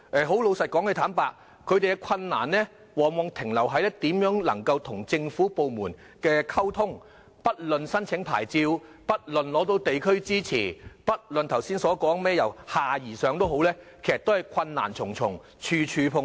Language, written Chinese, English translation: Cantonese, 他們面對的困難往往在於如何與政府部門溝通，不論申請牌照、取得地區支持或剛才說的"由下而上"，其實都是困難重重，處處碰壁。, Their difficulties very often involved communicating with government departments . They had encountered insurmountable difficulties in applying for licences obtaining district support or implementing the bottom - up approach mentioned earlier